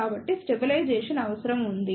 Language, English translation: Telugu, So, there is a need of stabilization